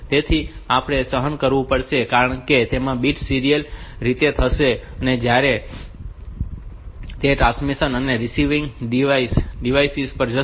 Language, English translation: Gujarati, So, we have to endure because the bits will go serially and since that transmission and receiving devices